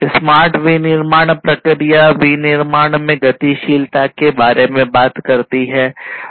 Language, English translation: Hindi, Smart manufacturing process talks about the dynamism in the manufacturing